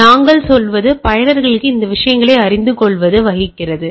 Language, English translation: Tamil, So, what we say making the user aware of these are the things